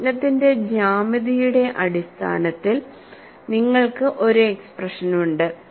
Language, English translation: Malayalam, So, you have an expression, in terms of the geometry of the problem situation